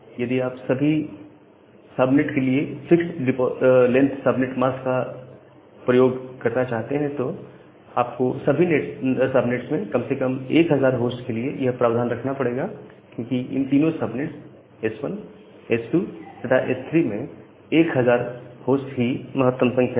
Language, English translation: Hindi, So, in case of if you want to use a fixed length subnet mask for all the subnets, then you can at least keep provision for 1000 host for all the subnets that is the maximum number of host, which is there in any of these three subnets S1, S2, and S3